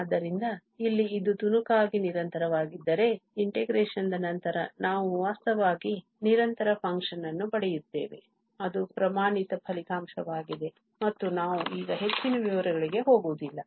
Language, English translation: Kannada, So, here if it is piecewise continuous, after this integration we get in fact continuous function that is the standard result and we are not going much into the details now